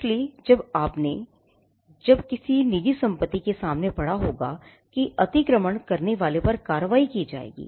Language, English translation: Hindi, So, when you would have read you would have seen these notices in front of some private property, trespassers will be prosecuted